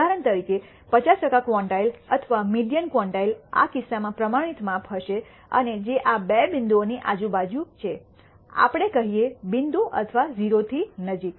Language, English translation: Gujarati, For example, the 50 percent quantile or the median quantile, in this case the standardized measure, will be and which is around these two points around let us say minus point or around 0 close to 0